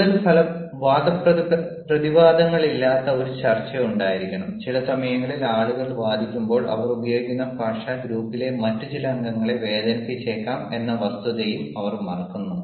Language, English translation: Malayalam, and at times people, when they argue ah, they also ah forget the fact that the language that they are using may hurt some other members of the group